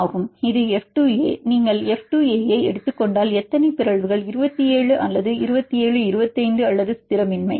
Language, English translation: Tamil, Alanine phenyl F 2 A yeah this is F 2 A, if you take F 2 A how many mutations 27 or 27 25 or destabilizing